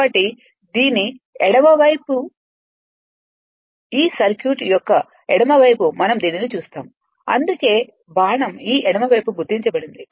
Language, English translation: Telugu, So, left side of this circuit we will see this that is why arrow is marked like this left side of this one right